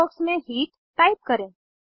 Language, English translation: Hindi, Type Heat in the green box